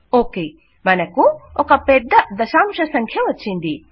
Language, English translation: Telugu, Okay, we have got a quiet long decimal number